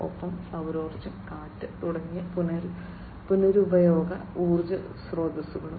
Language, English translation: Malayalam, And renewable energy sources like you know solar, wind etc